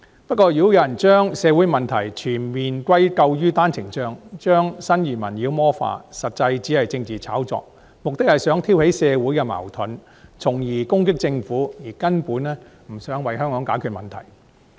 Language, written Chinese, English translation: Cantonese, 不過，如果有人將社會問題完全歸咎於單程證，將新移民妖魔化，實際只是政治炒作，目的是想挑起社會矛盾，從而攻擊政府，根本不想為香港解決問題。, Nevertheless any attempts to ascribe all social problems to the OWP system and demonize new arrivals are actually mere political orchestration aiming to stimulate social conflicts and in turn discredit the Government . They are simply not intended for resolving any problems for Hong Kong